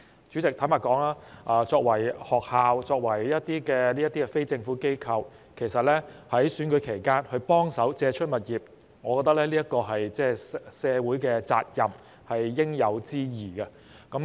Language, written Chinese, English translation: Cantonese, 主席，坦白說，學校作為非政府機構，其實在選舉期間幫忙借出場地，我覺得是社會責任和應有之義。, Chairman frankly speaking I think it is the social responsibility and integral obligation for schools as NGOs to make available their premises during the election period